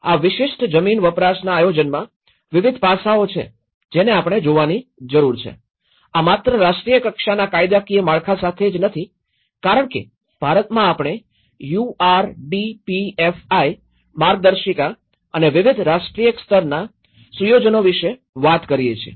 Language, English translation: Gujarati, So, like that there are various aspects one has to look at and in this particular land use planning, this not only has to do the national level legislatory framework as because in India we talk about the URDPFI guidelines and various other national level setup